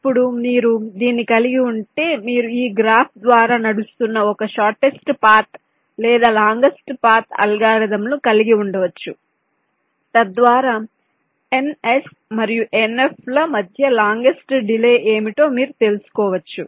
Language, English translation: Telugu, now, once you have this, then you can have some kind of a shortest path or the longest path algorithms running through this graph so that you can find out what is the longest delay between n, s and n f, the longest delay